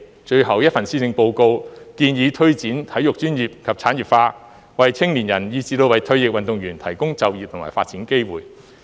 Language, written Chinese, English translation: Cantonese, 最後一份施政報告建議推展體育專業及產業化，為青年人以至為退役運動員提供就業和發展機會。, In the latest Policy Address the Government proposes that sports will be professionalized and the sports industry will be developed and that it will provide young people as well as retired athletes with job and development opportunities